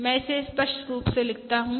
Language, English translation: Hindi, Let me write it out clearly